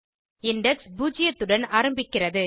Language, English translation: Tamil, Index starts with zero